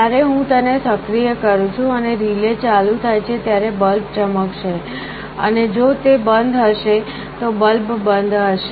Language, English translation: Gujarati, When I am activating it and the relay becomes on, the bulb will glow, and if it is off the bulb will be off this is how it works